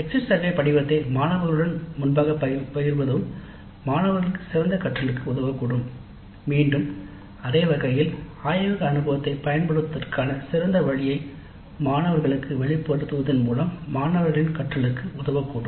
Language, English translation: Tamil, Sharing the exit survey form upfront with students also may help in better learning by the students again by the same logic by exposing the students to better way of utilizing the laboratory experience